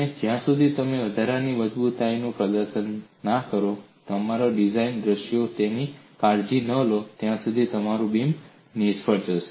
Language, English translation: Gujarati, And unless you take care of that in your design scenario by providing extra reinforcements, your beam will fail